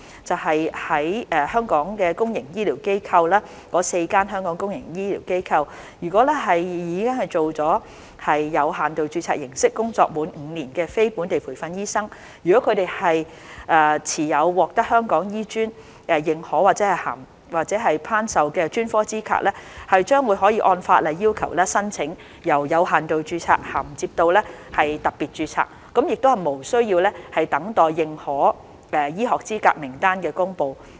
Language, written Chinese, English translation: Cantonese, 在香港的公營醫療機構——該4間香港公營醫療機構，以有限度註冊形式，而工作滿5年的非本地培訓醫生，如果他們持有獲得香港醫專認可或頒授的專科資格，將可按法例要求，申請由有限度註冊銜接到特別註冊，無須等待認可醫學資格名單的公布。, Non - locally trained doctors with specialist qualifications accredited or granted by HKAM who have worked in the four Hong Kong public healthcare institutions under limited registration for five years may apply to migrate from limited registration to special registration in accordance with the law without having to wait for the release of the list of recognized medical qualifications